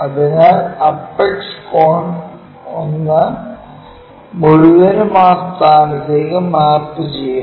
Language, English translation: Malayalam, So, the entire apex cone 1 mapped to that point